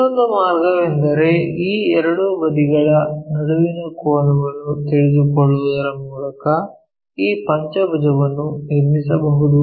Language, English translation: Kannada, The other way is by knowing the angle between these two sides also we can construct this pentagon